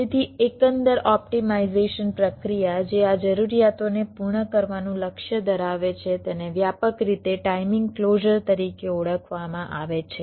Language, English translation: Gujarati, ok, so the overall optimisation process that targets to meet these requirements is broadly refer to as timing closer